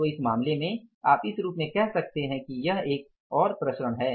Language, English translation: Hindi, So in this case you can call it as that this is another variance